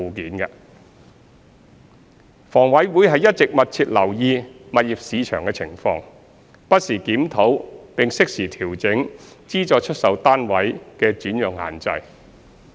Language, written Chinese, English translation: Cantonese, 二及三房委會一直密切留意物業市場的情況，不時檢討並適時調整資助出售單位的轉讓限制。, 2 and 3 HA has been monitoring the property market closely reviewing from time to time and revising as appropriate the alienation restrictions of SSFs